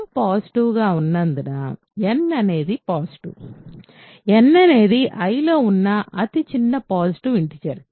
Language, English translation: Telugu, Because m is positive, n is positive n was the smallest positive integer containing contained in I